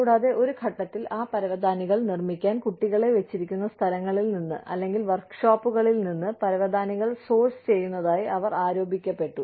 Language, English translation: Malayalam, And, at one point of time, they were accused of, sourcing carpets, from places, where or, sourcing carpets from workshops, where children were put to make, those carpets